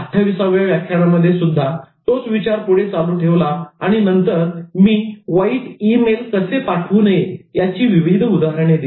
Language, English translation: Marathi, We followed the same thought in lecture 28 and then I went to the next level of showing examples of bad emails, how not to send emails